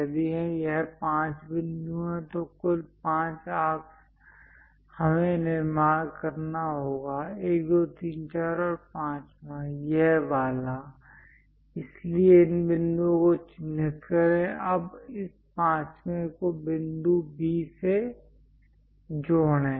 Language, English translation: Hindi, If it is 5 points, in total 5 arcs, we have to construct; 1, 2, 3, 4, and the 5th one; this one; so, mark these points; now connect this 5th point with point B